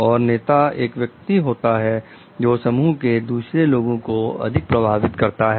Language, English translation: Hindi, And the leader is taken to be the person, who influences the others most in a group